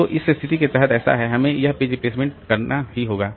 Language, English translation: Hindi, So, under this situation, so we have to have this page replacement